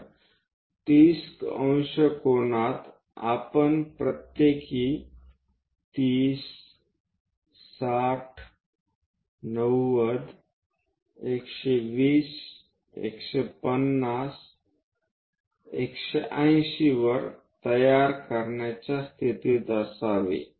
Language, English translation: Marathi, So, 30 degrees angles we should be in a position to construct every 30, 60, 90, 120, 150, 180